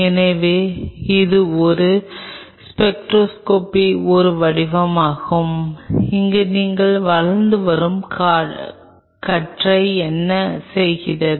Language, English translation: Tamil, So, this is one form of a spectroscopy where what you do the emerging beam